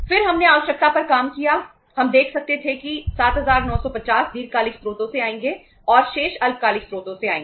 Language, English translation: Hindi, Then we worked out the requirement, we could see that 7950 will come from the long term sources and the remaining will come from the short term sources